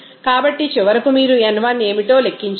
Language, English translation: Telugu, So, finally, you can calculate what should be the n 1